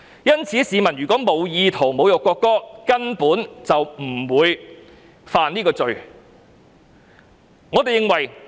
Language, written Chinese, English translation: Cantonese, 因此，市民如無意圖侮辱國歌，根本不會犯罪。, For this reason people will not commit an offence if they have no intention to insult the national anthem